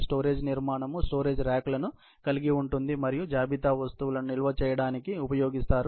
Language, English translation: Telugu, A storage structure comprises of storage racks and used to store inventory items